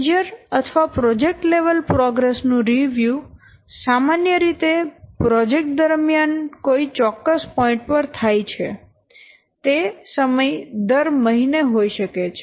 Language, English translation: Gujarati, Major or project level progress reviews generally takes place at a particular point maybe a particular point in the life of project might be in every month